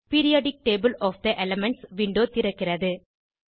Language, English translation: Tamil, Periodic table of the elements window opens